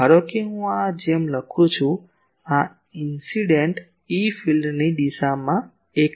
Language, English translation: Gujarati, So, that suppose I write like this that a i is the unit vector in the direction of the incident E field